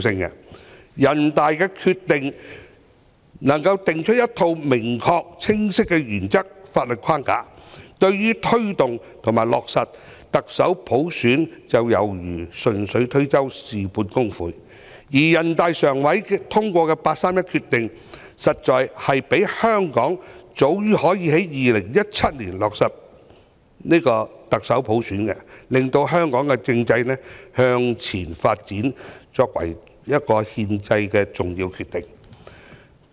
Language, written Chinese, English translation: Cantonese, 政府若能就人大常委會的決定訂出一套明確、清晰的原則和法律框架，對於推動和落實特首普選便猶如順手推舟，事半功倍，而人大常委會的八三一決定，實在可讓香港早於2017年落實特首普選，令香港的政制向前發展，那是一個重要的憲制決定。, If the Government could formulate a set of specific and clear principles as well as a legal framework in respect of the decision of NPCSC it would be conducive to promoting and implementing the selection of the Chief Executive by universal suffrage . NPCSCs 31 August Decision could have allowed Hong Kong to select the Chief Executive by universal suffrage before 2017 and it was an important constitutional decision that facilitated the forward development of Hong Kongs constitutional system